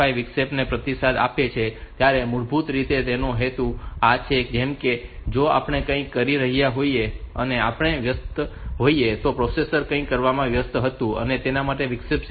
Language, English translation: Gujarati, 5 interrupt, so this is basically the purpose like; if we are doing something and we were busy the processor was busy doing something at which this interrupt has occurred 7